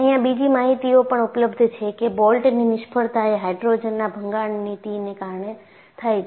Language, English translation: Gujarati, And, another information is also available, that the failure of the bolt is due to hydrogen embrittlement